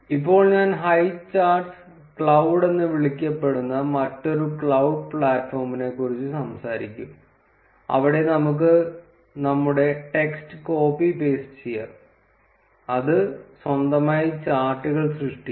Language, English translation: Malayalam, Now I would speak about another cloud platform called as highcharts cloud, where we can just copy paste our text and it will create the charts on its own